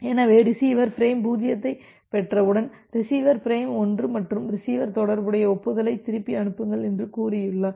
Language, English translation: Tamil, So, once receiver has received frame 0, receiver is expecting from frame 1 and receiver has say send back the corresponding acknowledgement